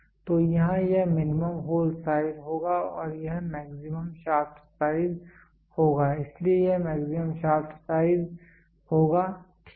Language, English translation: Hindi, So, here it will be minimum hole size and this will be maximum shaft size, so this will be maximum shaft size, ok